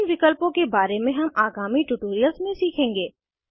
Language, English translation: Hindi, We will learn about these options in subsequent tutorials